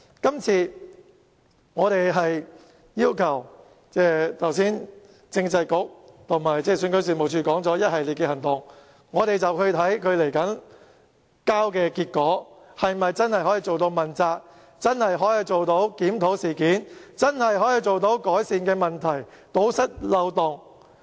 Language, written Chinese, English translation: Cantonese, 剛才政制及內地事務局和選舉事務處說會採取一系列行動，我們要看看他們交出來的結果，是否真的可以做到問責，真的可以做到檢討事件，真的可以改善問題，堵塞漏洞。, This time around we request Just now the Constitutional and Mainland Affairs Bureau and REO said they would take a host of actions . We should see if their results could really manifest accountability if the incident is really reviewed and improvement could really be made by plugging the loopholes